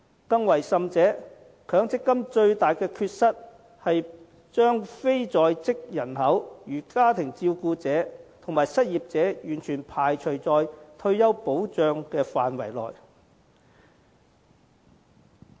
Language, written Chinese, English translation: Cantonese, 更甚者，強積金最大的缺失是把非在職人口如家庭照顧者和失業者完全排除在退休保障的範圍外。, Even worse the greatest deficiency of MPF is its total exclusion of the non - working population such as family carers and the unemployed from the coverage of retirement protection